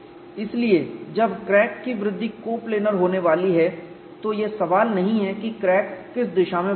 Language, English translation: Hindi, When the crack growth is going to be coplanar there is no question of which direction the crack will grow